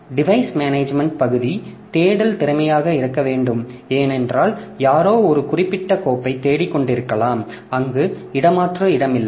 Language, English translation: Tamil, So, the device management part, searching has to be efficient because somebody may be looking for a particular file whereas for SWASP space that is not the case